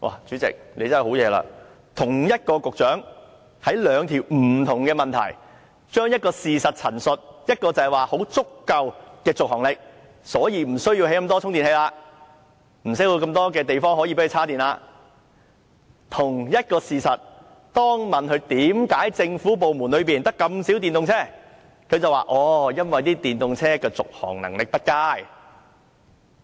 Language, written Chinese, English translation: Cantonese, 主席，真厲害，對同一項事實的陳述，同一位局長回答兩項不同的質詢時，一方面可以說續航力十分足夠，所以無須興建那麼多充電器，無須要那麼多地方充電；但同一個事實，當被問及為何政府部門中，只有這麼少電動車，他便說因為電動車的續航力不佳。, The same Secretary when talking about the same subject matter in two different written questions could give such different views . In one reply he said that the driving range was sufficient so there was no need to have so many chargers and charging facilities . But when asked why the number of EVs in the government vehicle fleet was so small he said that the driving range of EVs was not good enough